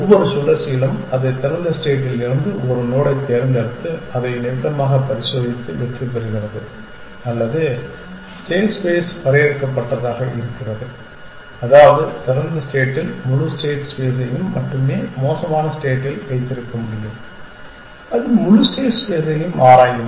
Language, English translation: Tamil, In every cycle, it picks one node from open inspects it and either put into close or succeeds or whatever the state space is finite which means open can have only all the entire state space in the worst case it will explore the entire state space